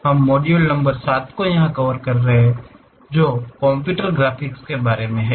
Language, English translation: Hindi, We are covering module number 7 which is about Computer Graphics